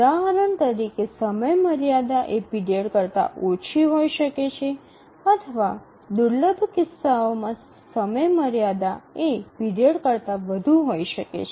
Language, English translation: Gujarati, For example, deadline can be less than the period or in rare cases deadline can be more than the period